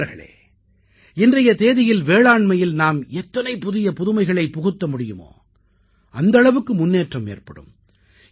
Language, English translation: Tamil, Friends, in presenttimes, the more modern alternatives we offer for agriculture, the more it will progress with newer innovations and techniques